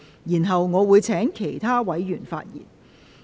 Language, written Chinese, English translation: Cantonese, 然後，我會請其他委員發言。, Then I will call upon other Members to speak